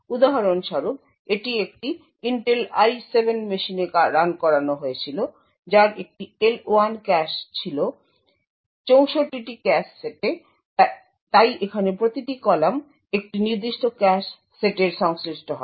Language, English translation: Bengali, So for example this was run on an Intel i7 machine which had an L1 cache with 64 cache sets, so each column over here corresponds to a particular cache set